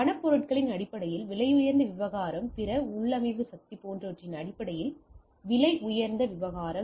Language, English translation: Tamil, Costly affair in terms of monetary items, costly affair in terms of other configuration power etcetera